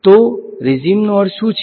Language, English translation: Gujarati, So, what is regime mean